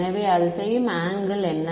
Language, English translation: Tamil, So, what is the angle it makes